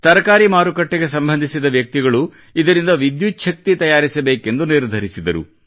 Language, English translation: Kannada, People associated with the vegetable market decided that they will generate electricity from this